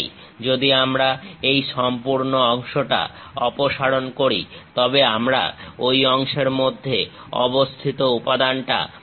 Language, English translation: Bengali, If we remove this entire part; then we have material within that portion